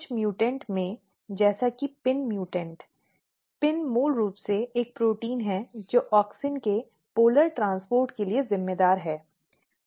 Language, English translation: Hindi, So, if you look the pin mutant; PIN is basically a protein which is responsible for polar transport of the auxin